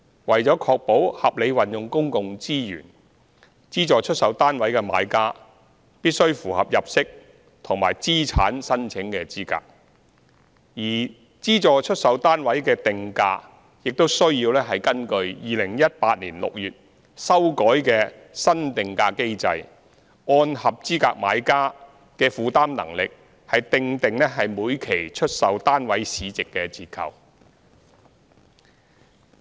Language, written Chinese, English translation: Cantonese, 為了確保合理運用公共資源，資助出售單位的買家必須符合入息及資產申請資格，而資助出售單位的定價，亦須根據2018年6月修改的新定價機制，按合資格買家的負擔能力訂定每期出售單位市值的折扣。, To ensure the rational use of public resources buyers of SSFs have to comply with the income and asset limits while the pricing of SSFs is fixed in accordance with the new pricing mechanism which was revised in June 2018 . Under the revised pricing mechanism the price discount based on the market value of SSFs is determined with reference to the affordability of eligible buyers